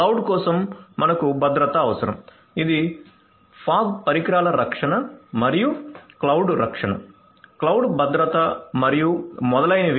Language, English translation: Telugu, We need security for cloud is fog devices protection and this is cloud protection, cloud security and so on